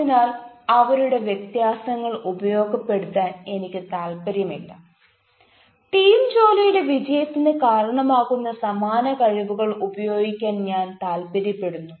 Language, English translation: Malayalam, so i am not interested in utilizing their differences, i am interested in utilizing the talents, the similarities that can contribute the success of the team work